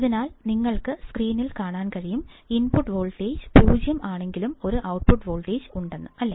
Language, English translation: Malayalam, But what you will find is that even though the input voltage is 0, there will be an output